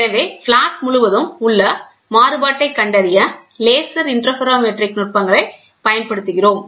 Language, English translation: Tamil, So, we use laser interferometric techniques to find out the variation all along the flat